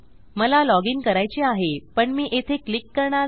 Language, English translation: Marathi, So for example Im going to log in but Ill not click here to go